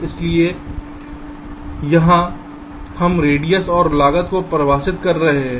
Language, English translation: Hindi, ok, so here we are defining radius and cost